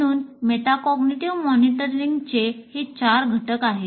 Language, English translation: Marathi, So these are the four elements of metacognitive monitoring